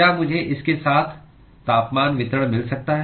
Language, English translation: Hindi, So, with this can I get the temperature distribution